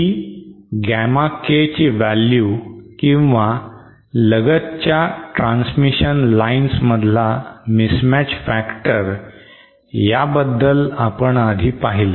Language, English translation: Marathi, So this is the value of Gamma K or the mismatch factor between adjacent transmission line segments that we have stated earlier